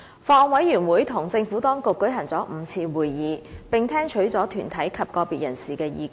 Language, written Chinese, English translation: Cantonese, 法案委員會與政府當局舉行了5次會議，並聽取了團體及個別人士的意見。, The Bills Committee has held five meetings with the Administration and received views from deputations and individuals